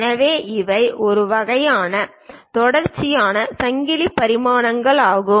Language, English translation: Tamil, So, these are parallel these are a kind of continuous chain dimensioning